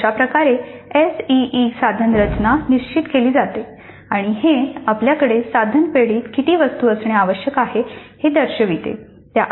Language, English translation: Marathi, So, this is how the SE instrument structure is determined and that will indicate approximately how many items we should have in the item bank